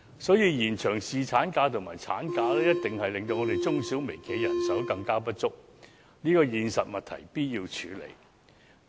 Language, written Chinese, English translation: Cantonese, 所以，延長侍產假及產假一定會令中小微企的人手更加不足，這個現實問題必須處理。, So the extension of the paternity leave and maternity leave durations will definitely aggravate the manpower shortage of SMEs and micro enterprises . This is a reality we have to address